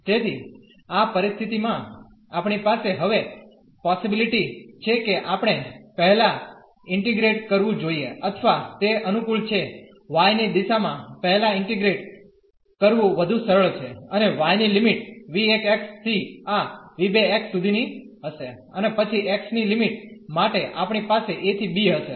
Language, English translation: Gujarati, So, in this situation we have the possibility now that we should first integrate or it is convenient or it is easier to integrate first in the direction of y, and the limit of y will be from v 1 x to this v 2 x and then for the limit of x we will have a to b